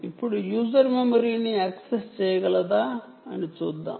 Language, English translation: Telugu, now let us see whether user memory is accessible